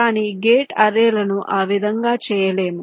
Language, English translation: Telugu, but gate arrays cannot be done in that way